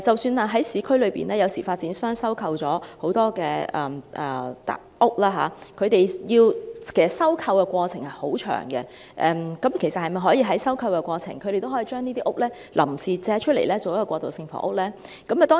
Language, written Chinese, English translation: Cantonese, 此外，在市區，有時候發展商收購樓房的過程很漫長，那麼，在收購過程中，可否也把這些單位臨時借出作過渡性房屋之用呢？, Besides the acquisition processes of units by developers in urban district are sometimes very lengthy . Then in the meanwhile could they lend these units out temporarily for the purpose of transitional housing?